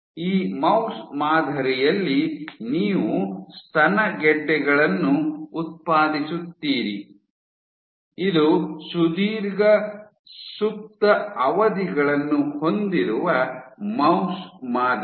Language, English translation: Kannada, So, in this mouse model, you generate breast tumors, this is a mouse model with long latency periods